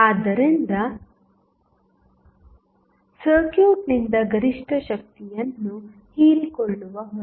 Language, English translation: Kannada, So, the load which will absorb maximum power from the circuit